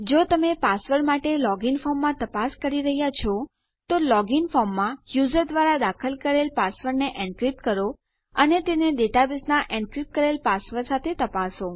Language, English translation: Gujarati, If your checking in a log in form for a password, encrypt the password the users entered in the log in form and check that to the encrypted password at the data base